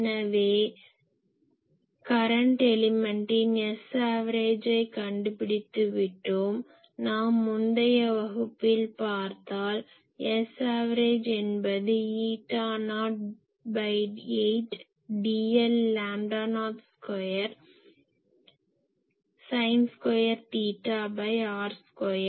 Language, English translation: Tamil, So, current element we have already found what was our S a v if you see your notes that our S a v was eta not by 8 d l by lambda not square sin square theta by r square